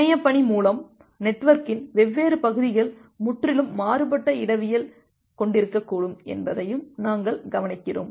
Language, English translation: Tamil, And by internetwork we also look into that different parts of the network may have quitely different topology